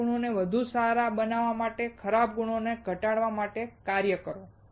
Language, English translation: Gujarati, Work on to better the good qualities and to reduce your bad qualities